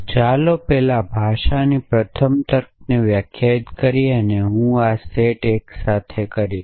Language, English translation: Gujarati, us define first the language first logic and I will do this set of simultaneously